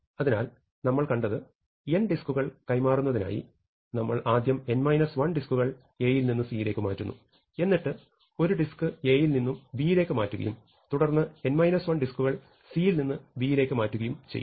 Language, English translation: Malayalam, So, what we have seen is that in order to transfer n disks, we first transfer n minus 1 disks from A to C, then we transfer one disk from A to B and then n minus 1 disks back from C to B